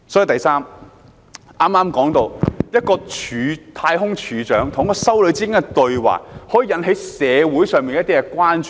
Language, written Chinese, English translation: Cantonese, 第三，剛才提及，一個太空總署署長與一位修女的對話，可以引起社會上的一些關注。, Thirdly as mentioned earlier the dialogue between a director at NASA and a nun succeeded in drawing some concern from society